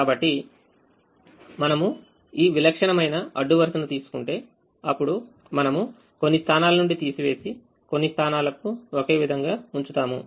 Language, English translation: Telugu, so if we take this typical row, then we would have subtracted from some positions and kept some positions the same, these zero positions the same